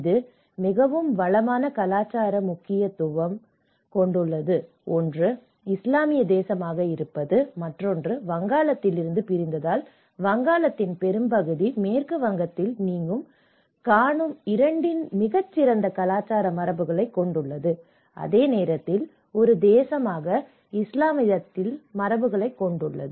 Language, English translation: Tamil, And it has a very rich cultural importance, one is being an Islamic nation and also partly it has some because it has been splitted from the Bengal; the larger part of the Bengal so, it has a very rich cultural traditions of both what you see in the West Bengal and at the same time as the Islamic as a nation